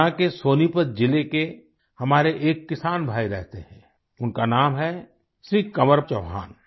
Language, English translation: Hindi, One such of our farmer brother lives in Sonipat district of Haryana, his name is Shri Kanwar Chauhan